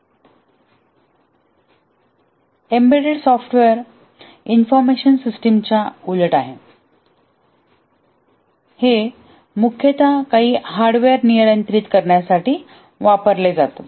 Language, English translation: Marathi, In contrast to the information system, in embedded software, these are mostly used to control some hardware